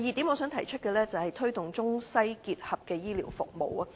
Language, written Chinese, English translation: Cantonese, 我想提出的第二點是，推動中西結合的醫療服務。, The second point I would like to raise is the promotion of the Integrated Chinese - Western medicine ICWM